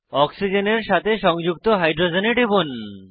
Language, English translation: Bengali, Click on the hydrogen attached to oxygen atoms